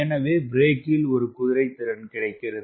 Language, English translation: Tamil, this is the brake which will have a power brake horsepower